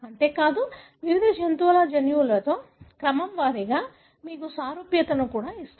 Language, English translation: Telugu, Not only that, it also gives you the similarity, sequence wise with the genome of various other animals